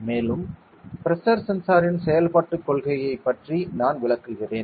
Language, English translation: Tamil, And also I will be explaining the working principle of a pressure sensor ok